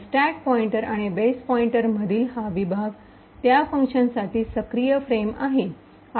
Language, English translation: Marathi, So this region between the stack pointer and the base pointer is the active frame for that particular function